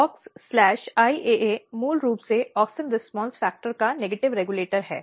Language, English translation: Hindi, So, Aux IAA is basically negative regulator of auxin response factor